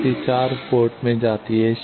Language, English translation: Hindi, How much is coming out of port 4